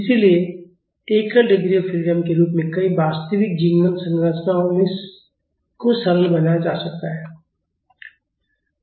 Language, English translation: Hindi, So, many real life structures can be simplified as a single degree of freedom system